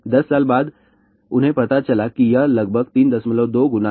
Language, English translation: Hindi, After 10 years, what they found out this is about 3